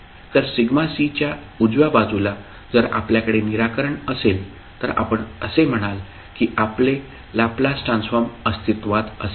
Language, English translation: Marathi, So, right side of sigma c if you have the solution then you will say that your Laplace transform will exist